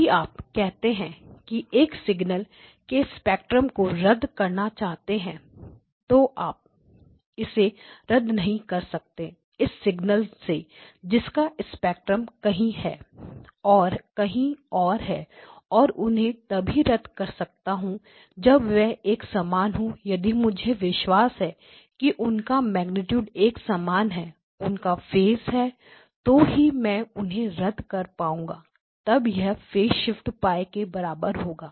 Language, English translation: Hindi, This is a observe, if you say that the spectrum of a signal is here, and I want to cancel it I cannot cancel it with a signal who spectrum is elsewhere I can only cancel when they are similar, so I cannot cancel these two on the other hand I can cancel these two, if I ensure that their magnitudes are the same and they have a phase so basically between these two if they have same magnitude response and a phase offset of Pi